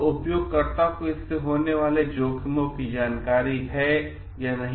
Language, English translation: Hindi, So, then, do users know the risk involvement in it